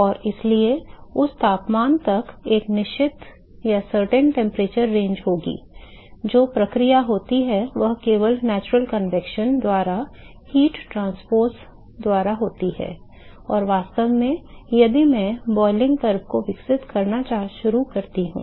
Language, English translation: Hindi, And so, there will be a certain temperature range till that temperature, the process that occurs is only by the heat transpose only by natural convection and in fact, if I start to develop this boiling curve